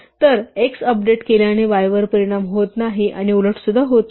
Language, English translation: Marathi, So, updating x does not affect y and vice versa